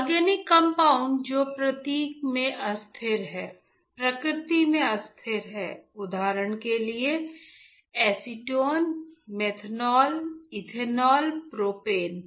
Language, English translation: Hindi, The organic compound that is volatile in nature for example acetone, for example methanol, for example ethanol, propanol right